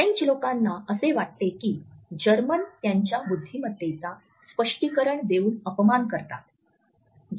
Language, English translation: Marathi, French people can feel that Germans insult their intelligence by explaining the obvious